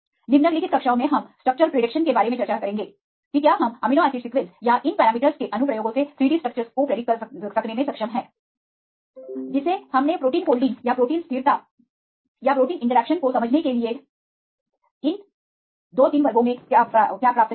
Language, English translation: Hindi, In the following classes we will discuss about the structure prediction whether we are able to predicts the 3 D structures from the amino acid sequence or the applications of these parameters, what we derived in these 2 3 classes right to understand protein folding rates or protein stability or protein interactions some sort of applications point of view, we will discuss in the later classes